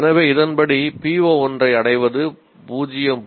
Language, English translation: Tamil, So attainment of PO1 according to this is 0